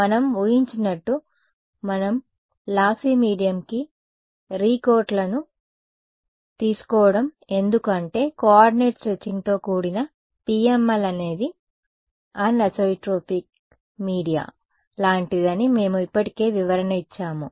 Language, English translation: Telugu, You might have guessed why we are taking recoats to a lossy media because we have already given the interpretation that PML with coordinate stretching is like a lossy an isotropic media right